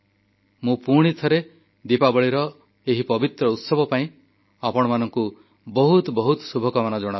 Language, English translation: Odia, I once again wish you all the very best on this auspicious festival of Diwali